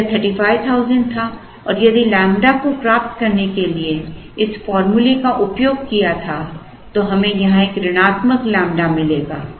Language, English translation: Hindi, If it was 35,000 and if we had blindly use this formula to get lambda, then we would get a negative lambda here